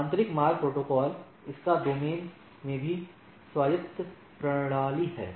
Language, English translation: Hindi, Interior routing protocols, its domain is also an autonomous system